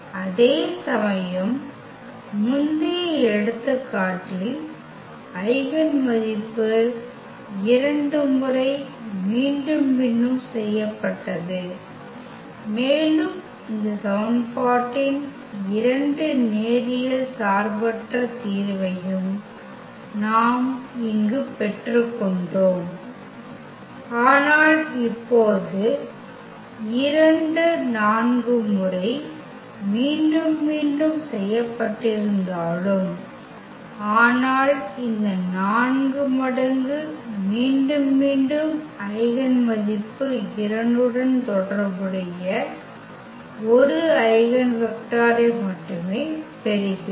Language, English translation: Tamil, Whereas, in the previous example the eigenvalue was repeated two times and we were also getting two linearly independent solution of this equation, but now though the 2 was repeated 4 times, but we are getting only 1 eigenvector corresponding to this 4 times repeated eigenvalue 2